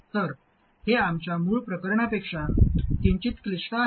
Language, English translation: Marathi, So this is slightly more complicated than our original case